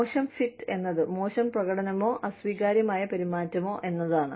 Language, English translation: Malayalam, Poor fit is poor performance or unacceptable behavior